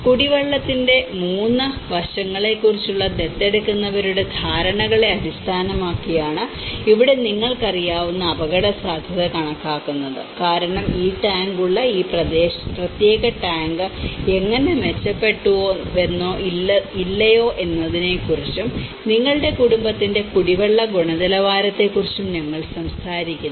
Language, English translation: Malayalam, And here this is where the risk perception you know that is measured based on adopters perceptions on 3 aspects of drinking water and because we are talking about how this particular tank having this tank how it has improved or not and the drinking water quality of your family, so they talked about from good to poor, causing health issues problems of our family members, so that is again you know regarding the health